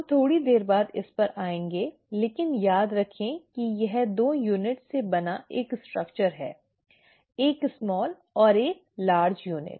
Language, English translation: Hindi, We will come to this little later again but remember it is a structure made up of 2 units, a small and large unit